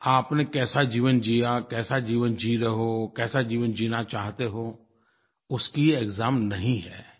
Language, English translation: Hindi, It is not a test of what kind of life have you lived, how is the life you are living now and what is the life you aspire to live